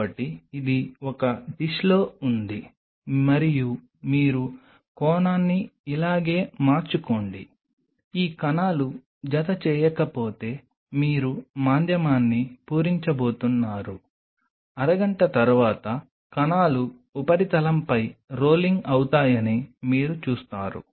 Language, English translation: Telugu, So, this is on a dish and you just change the angle to something like this just of course, you are going to still fill the medium if these cells are not attaching you will see the cells will be rolling on the surface after half an hour